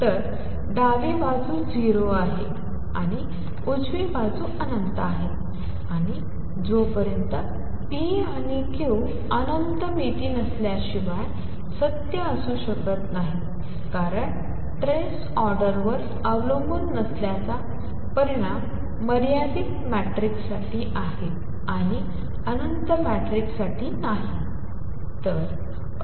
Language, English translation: Marathi, So, left hand side is 0 and right hand side is infinity and that cannot be true unless p and q are infinite dimensional because the result that the trace does not depend on the order is true for finite matrices and not for infinite matrices